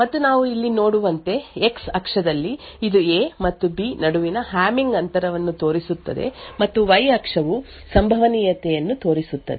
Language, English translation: Kannada, And as we see over here, on the X axis it shows the Hamming distance between A and B and the Y axis shows the probability